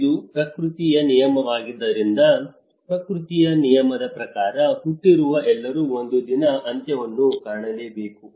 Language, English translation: Kannada, Because it is a law of nature, as per the law of nature, everyone is born, and everyone is bound to die